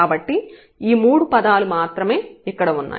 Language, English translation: Telugu, So, we have only this these three terms here